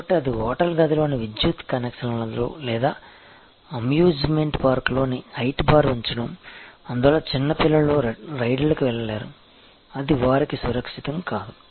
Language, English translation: Telugu, So, whether it is in the electrical connections in the hotel room or the height bar at the amusement park so, that young children cannot go to rides, which are not the safe for them